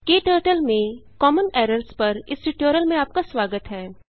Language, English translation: Hindi, Welcome to this tutorial on Common Errors in KTurtle